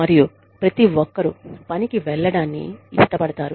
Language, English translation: Telugu, And, everybody loves going to work